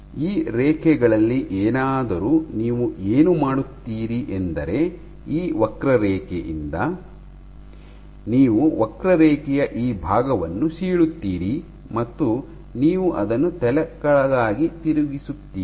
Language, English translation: Kannada, So, what you do is from this curve, you cleave this portion of the curve and you flip it upside down and you flip it